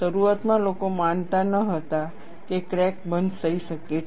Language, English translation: Gujarati, Initially, people did not believe that crack closure could happen